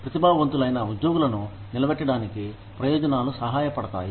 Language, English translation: Telugu, Benefits help retain talented employees